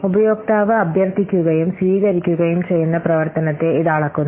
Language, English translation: Malayalam, It measures functionality that the user request and receives